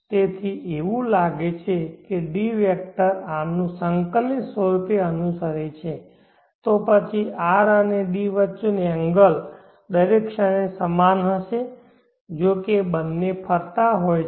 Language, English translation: Gujarati, T so it looks as though D is following this vector R synchronously then the angle between R and D will be same at every instant of time though both are rotating